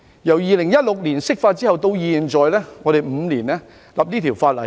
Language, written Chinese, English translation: Cantonese, 由2016年釋法到現在，我們用了5年制定這項法案。, From the interpretation of the Basic Law in 2016 till now we have used five years to enact this Bill